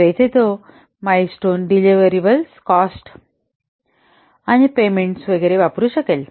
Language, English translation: Marathi, So here he may use milestones, deliverables, cost and payments, etc